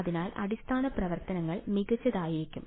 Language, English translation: Malayalam, So, basis functions can be better